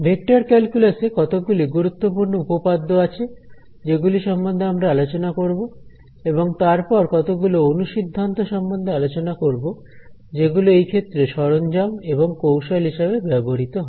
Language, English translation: Bengali, There are some very important theorems in vector calculus that we will talk about and then some of the corollaries which are like the tools and techniques used in this area